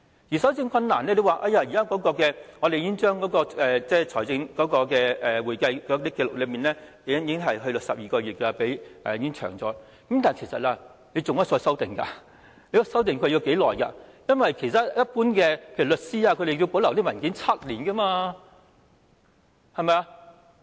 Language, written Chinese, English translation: Cantonese, 在搜證困難方面，當局表示現時已將財政和會計紀錄的保留時間延長至12個月，雖然已經延長了，但其實當局仍可再修訂須保留文件的時間，因為其他一般行業，例如律師，須保留文件7年，對嗎？, In respect of the difficulties in collection of evidence the authorities said that now the period for retention of financial and accounting records has been extended to 12 months . Despite the extension actually the authorities can further revise the period for retention of documents because in general other industries such as the legal profession must keep their documents for seven years right?